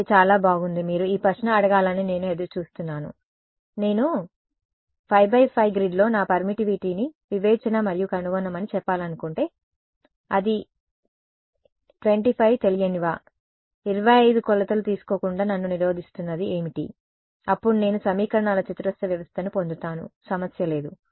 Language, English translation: Telugu, Ok very good I was waiting for you to ask this question why cannot I; if I want to let us say discretize and find out my permittivity in a 5 by 5 grid is it 25 unknowns, what prevents me from taking 25 measurements, then I will get a square system of equations no problem